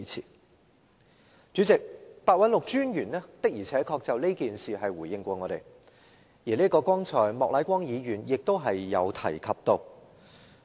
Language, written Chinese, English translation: Cantonese, 代理主席，白韞六專員的而且確曾就此事回應我們，剛才莫乃光議員亦已提及。, Deputy President ICAC Commissioner Simon PEH did respond to us on this matter and just now Mr Charles Peter MOK has already mentioned Mr PEHs response